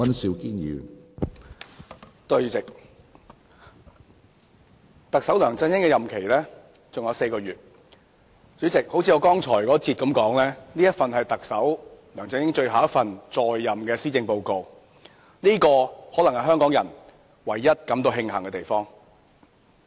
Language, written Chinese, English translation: Cantonese, 主席，特首梁振英的任期尚餘4個月，正如我在第一個辯論環節中所說，這是梁特首在任的最後一份施政報告，這可能是香港人唯一感到慶幸的地方。, President only four months are left for this term of office of Chief Executive LEUNG Chun - ying . As I said in the first debate session this is the swansong Policy Address of LEUNG Chun - ying as the Chief Executive which may be the only thing that the Hong Kong people feel grateful about